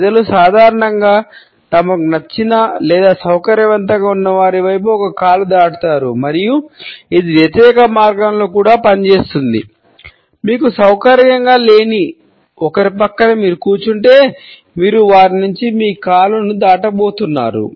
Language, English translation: Telugu, People usually cross a leg towards someone they like or are comfortable with and it also works the opposite way; if you are sitting beside somebody that you are not comfortable with; it is pretty likely you are going to cross your leg away from them